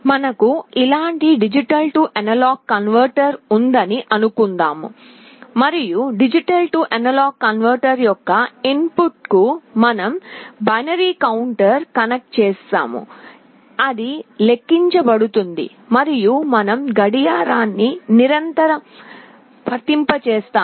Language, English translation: Telugu, Suppose we have a D/A converter like this, and to the input of the D/A converter we have connected a binary counter which counts up and we apply a clock continuously